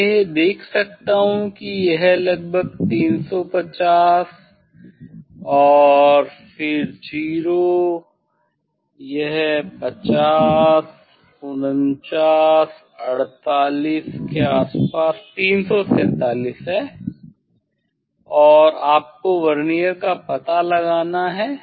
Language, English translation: Hindi, reading I can see this is approximately 350 and then 0, it is 50 49 48 around 347 as the 347 and one as to find out the Vernier